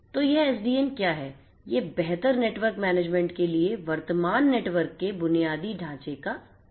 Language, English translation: Hindi, So, what is this SDN, it is the restructuring of the current network infrastructure for improved network management